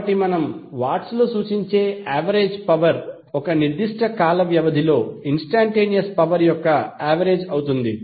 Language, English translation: Telugu, So average power we can represent in Watts would be the average of instantaneous power over one particular time period